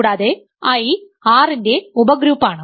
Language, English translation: Malayalam, And I is a subgroup of R under addition